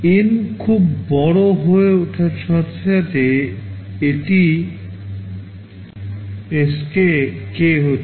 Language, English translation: Bengali, As N becomes very large this Sk approaches k